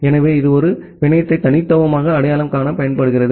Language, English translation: Tamil, So, it is used to uniquely identify a network